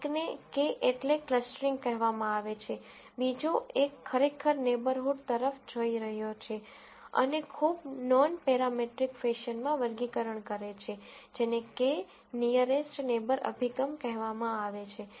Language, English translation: Gujarati, One is called K means clustering, the other one is really just looking at neighborhood and doing classification in a very nonparametric fashion, which is called the K nearest neighbor approach